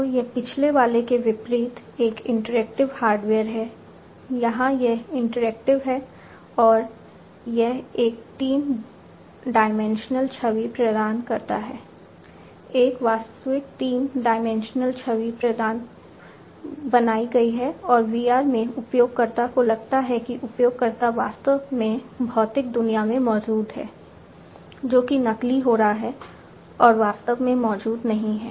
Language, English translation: Hindi, A realistic three dimensional image is created and the user in VR feels that the user is actually present in the physical world, which is being simulated, but is actually not being present